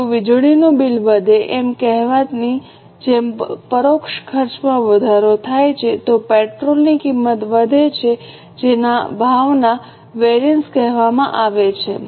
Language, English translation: Gujarati, If the indirect cost increase like, say, electricity bill increases, cost of petrol increases, they are called as price variances